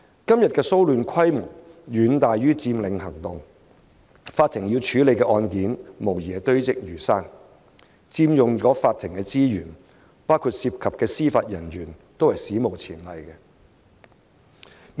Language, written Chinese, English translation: Cantonese, 今天的騷亂規模遠大於佔領行動，法庭要處理的案件無疑堆積如山，所佔用的法庭資源，包括司法人員，都是史無前例的。, The scale of the disturbances today is much larger than that of the Occupy movement . The number of cases to be handled by the court will definitely be immense requiring unprecedented court resources including judicial manpower